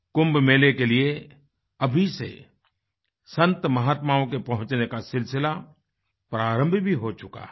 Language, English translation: Hindi, The process of Sant Mahatmas converging at the Kumbh Mela has already started